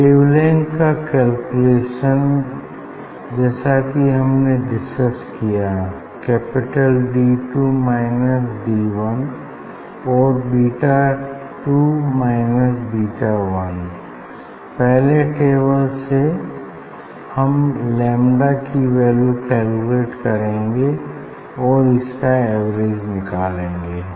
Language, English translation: Hindi, calculation of the wavelength as I mentioned you; D or D 2 minus D 1 and beta 2 minus beta 1 value of d is from first table lambda you are calculating average lambda we will get